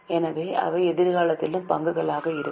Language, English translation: Tamil, They are also going to be shares in future